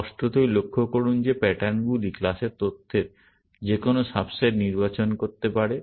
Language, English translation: Bengali, Obviously, notice that patterns can select any subset of the class information